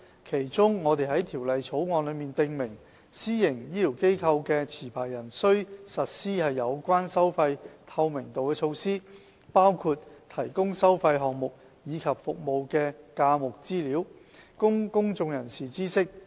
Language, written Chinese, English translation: Cantonese, 其中，我們在《條例草案》中訂明，私營醫療機構的持牌人須實施有關收費透明度的措施，包括提供收費項目及服務的價目資料，供公眾人士知悉。, In particular it is stipulated in the Bill that the licensee of a PHF should implement measures to enhance price transparency . Hence he must make available to the public the prices of any chargeable items and services provided in the PHF